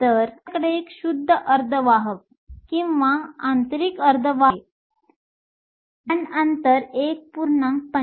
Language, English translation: Marathi, So, we have a pure semiconductor or an intrinsic semiconductor, the band gap is 1